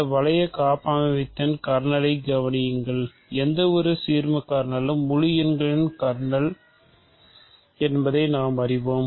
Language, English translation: Tamil, So, consider the kernel of this ring homomorphism, we know that any ideal kernel is an ideal of the integers